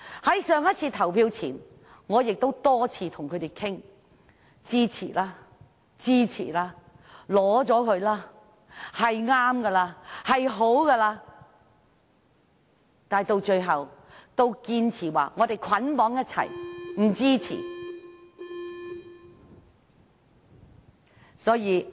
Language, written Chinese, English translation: Cantonese, 在上次投票之前，我曾多次與他們商討，說支持吧，同意吧，是正確的，是好的，但他們最後都堅持要捆綁在一起，不支持。, I have repeatedly discussed with them the proposals put forward last time before they were put to vote and urged them to support such good proposals which would lead us to the right direction but they insisted on bundling up their votes together and objecting to the proposals